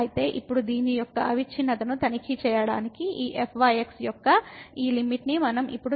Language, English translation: Telugu, So now for this to check the continuity of this, what we have to now take this limit of this